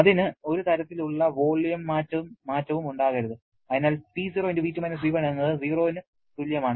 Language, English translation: Malayalam, It cannot have any kind of volume change, so this is equal to 0